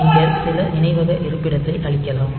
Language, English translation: Tamil, So, you can clear some memory location